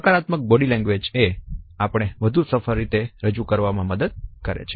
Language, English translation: Gujarati, A positive body language helps us in projecting ourselves in a more successful manner